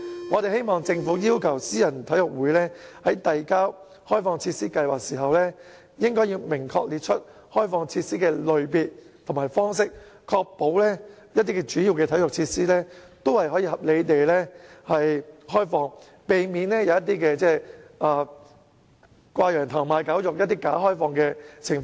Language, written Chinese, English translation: Cantonese, 我希望政府要求私人體育會在遞交開放設施計劃時，明確列出開放設施的類別和方式，確保主要體育設施也可以合理地開放，避免出現"掛羊頭賣狗肉"的"假開放"情況。, I hope that the Government will require private sports clubs to specify the types of facilities to be opened up and the mode of opening up such facilities when submitting the opening - up schemes so as to ensure that major facilities of a venue are reasonably opened up and prevent the situation of crying up wine and selling vinegar or bogus opening - up